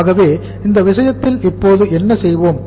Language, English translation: Tamil, So in this case what we will do now